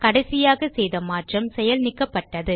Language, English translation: Tamil, The changes we did last have been undone